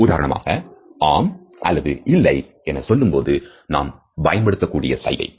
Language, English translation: Tamil, For example, the gestures indicating yes and no